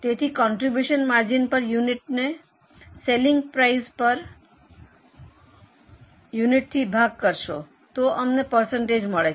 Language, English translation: Gujarati, So, contribution margin per unit upon selling price per unit, we get percentage